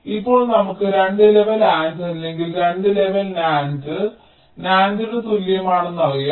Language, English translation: Malayalam, now we know that any two level and or equivalent to two level, nand, nand